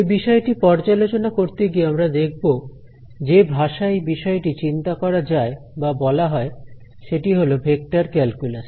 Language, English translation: Bengali, So, as we will find out in this course the whole language in which this course is thought or spoken is the language of Vector Calculus